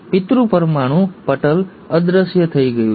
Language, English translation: Gujarati, The parent nuclear membrane has disappeared